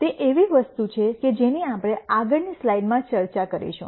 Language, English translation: Gujarati, It is something that that we will discuss in the next slide